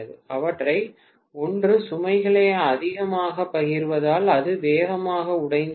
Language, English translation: Tamil, Because one of them shares the load much more it will break down faster